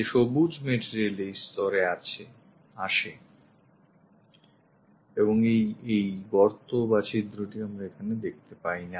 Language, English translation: Bengali, The green material that comes at this level and this hole we cannot see it